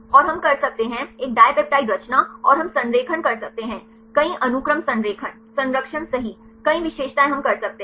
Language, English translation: Hindi, And we can do the; a dipeptide composition and we can do the alignment multiple sequence alignment conservation right several features we can do it